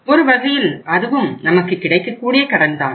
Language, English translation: Tamil, So that is also a sort of credit available